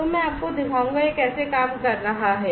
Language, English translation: Hindi, So, I will show you how is it working